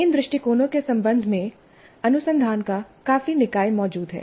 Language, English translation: Hindi, Considerable body of research exists regarding these approaches